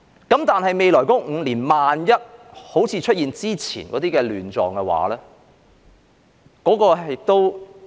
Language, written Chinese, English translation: Cantonese, 但是，在未來5年，萬一出現好像之前的亂狀，那怎麼辦？, However if similar chaos appears in the next five years what should be done?